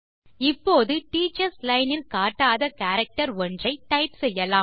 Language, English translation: Tamil, Now lets type a character that is not displayed in the teachers line